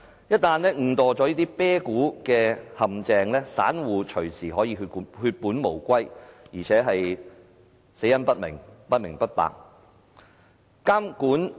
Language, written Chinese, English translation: Cantonese, 一旦誤墮"啤殼"的陷阱，散戶隨時可以血本無歸，而且死得不明不白。, If retail investors fall into the trap of backdoor listing they will lose every penny they have saved and they do not have a clue of what has caused the failure